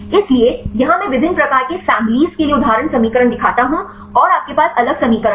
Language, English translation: Hindi, So, here I show example equations for the different types of families and you have the different equations